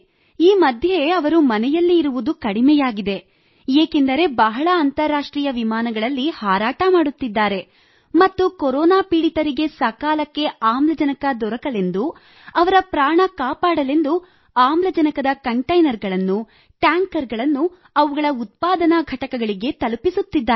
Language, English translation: Kannada, Now a days he is not able to stay home much as he is going on so many international flights and delivering containers and tankers to production plants so that the people suffering from corona can get oxygen timely and their lives can be saved